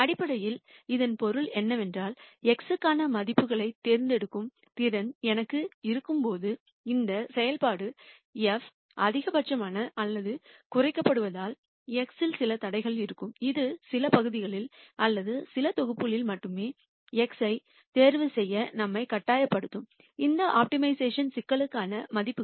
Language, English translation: Tamil, What basically that means, is while I have the ability to choose values for x, so that this function f is either maximized or minimized, there would be some constraints on x which would force us to choose x in only certain regions or certain sets of values for this optimization problem